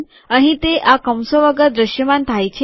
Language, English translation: Gujarati, Here it appears without these braces